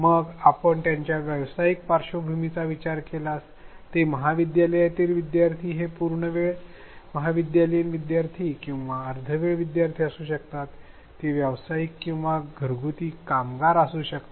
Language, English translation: Marathi, Then if you move to their professional background it may be college students full time college students or part time students it may be professionals or home based workers